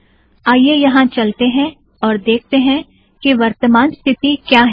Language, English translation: Hindi, Lets just go here and see what the current status is